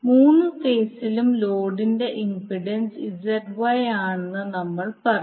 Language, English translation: Malayalam, So we will say the impedance of the load is Z Y in all three phases